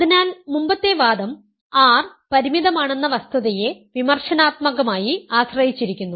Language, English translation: Malayalam, So, the previous argument is critically dependent on the fact that R is finite